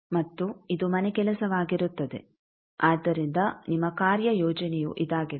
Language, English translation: Kannada, And this will be the homework, so your assignment will be this